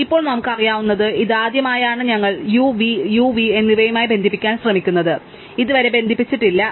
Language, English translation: Malayalam, So, now what we know this is the first time that we are trying to connect U to V, U to V have not been connected, so far